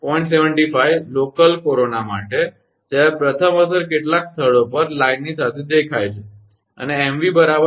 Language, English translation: Gujarati, 75, for local corona when the effect is first visible at some places, along the line and mv is equal to 0